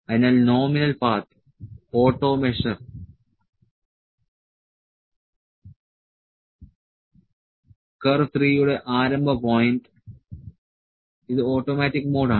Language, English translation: Malayalam, So, nominal path the auto measure; auto measure the start point of the curve 3 we are this is the automatic mode